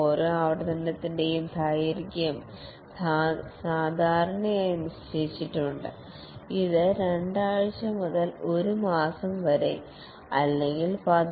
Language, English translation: Malayalam, The length of each iteration is typically fixed, something like a two week to one month or maybe 1